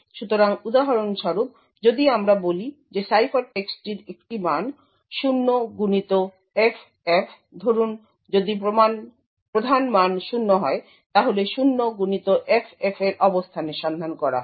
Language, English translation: Bengali, So, for example if let us say the ciphertext has a value say 0xFF if the key value was 0, lookup is to the location 0xFF